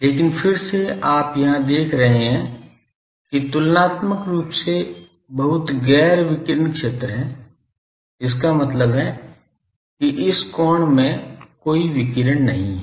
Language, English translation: Hindi, But again you see here is an comparatively very non non radiating zone; that means, in this angle there is no radiation